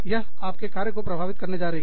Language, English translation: Hindi, That is going to affect, what i do, at work